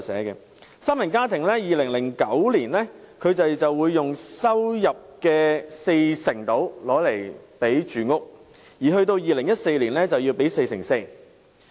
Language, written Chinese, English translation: Cantonese, 以三人家庭為例，在2009年，住屋開支佔其收入約四成，而及至2014年，則佔其收入的四成四。, Take three - person households as an example their housing expenses accounted for about 40 % of their income in 2009; the percentage increased to 44 % in 2014